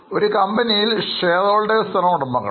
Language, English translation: Malayalam, Since in a company, shareholders are the owners